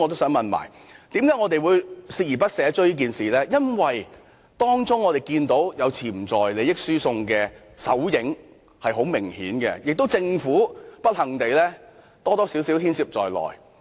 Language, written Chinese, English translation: Cantonese, 我們鍥而不捨地追問此事，因為我們明顯看到，當中有潛在利益輸送的手影，而不幸地，政府或多或少牽涉在內。, We keep asking about this matter with unflagging efforts because we have clearly seen traces of a potential conflict of interest there and unfortunately the Government was involved to a smaller or larger extent